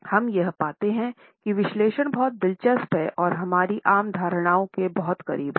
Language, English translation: Hindi, We find that the analysis is pretty interesting and also very close to our common perceptions